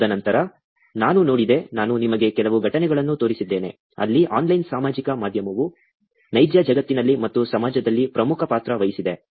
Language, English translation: Kannada, And then, I looked at, I showed you some events, where online social media has played an important role in the real world and in the society also